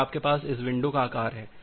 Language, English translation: Hindi, Then you have this window size